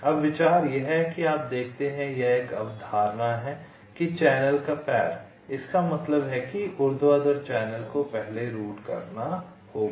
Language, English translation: Hindi, now the idea is that you see, here the concept is that the leg of the channel, that means this vertical channel, has to be routed first